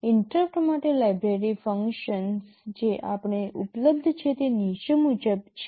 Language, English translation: Gujarati, For the interrupt the library functions that are available to us are as follows